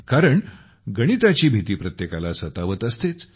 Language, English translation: Marathi, Because the fear of mathematics haunts everyone